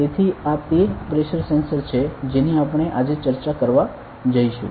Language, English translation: Gujarati, So, this is the pressure sensor that we are going to discuss today ok